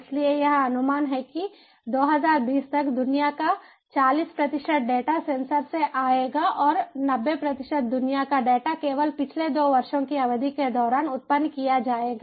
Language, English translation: Hindi, so it is estimated that by round twenty, twenty forty percent of the worlds data will come from sensors and ninety percent of the worlds data will be generated only during the period of last two years